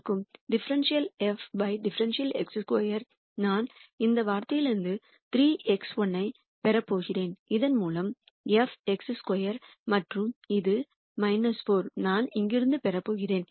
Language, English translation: Tamil, And dou f dou x 2 I am going to get 3 x 1 from this term, 5 x 2 through this and this minus 4 I am going to get from here